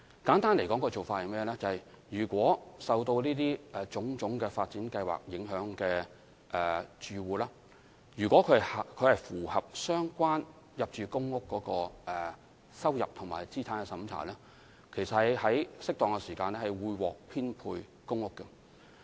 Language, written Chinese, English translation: Cantonese, 簡單而言，對於受種種發展計劃影響的住戶，如果他們符合入住公屋的入息和資產審查等的相關條件，在適當時間便會獲編配公屋。, To put it simply for households affected by various development projects if they meet such criteria as income and assets tests for rehousing to PRH they will be allocated PRH in due course